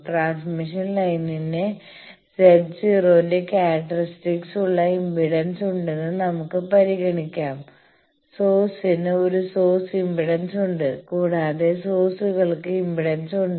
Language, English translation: Malayalam, Let us consider the transmission line is having a characteristic impedance of Z 0 the source is having a source impedance also sources have some impedance there is no source without any impedance